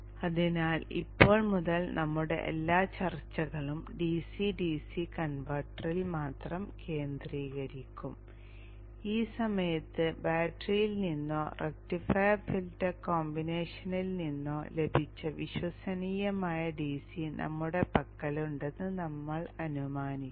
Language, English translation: Malayalam, So from now on all our discussions will be focused on the DC DC converter alone and we assume that at this point we have a reliable DC obtained either from battery or from the rectifier filter combination